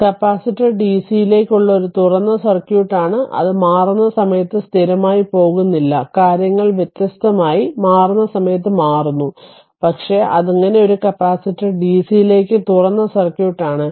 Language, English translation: Malayalam, So, thus the capacitor is an open circuit to dc when you going for steady not at the time of switching, switching at the time of switching things different right, but thus a capacitor is open circuit to dc